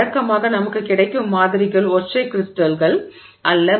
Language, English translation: Tamil, So, usually the samples that we get are not single crystals